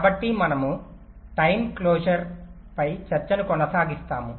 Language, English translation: Telugu, so we continue with a discussion on timing closure